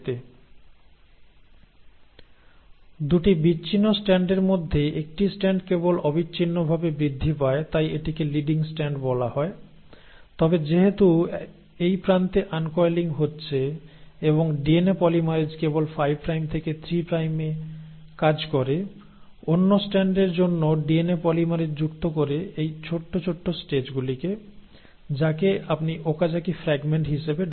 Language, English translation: Bengali, Of the 2 separated strands, one strand just grows continuously so that is called as the leading strand but since here the uncoiling is happening at this end and the DNA polymerase only works in 5 prime to 3 prime, for the other strand the DNA polymerase adds these stretches in small pieces, which is what you call as the Okazaki fragments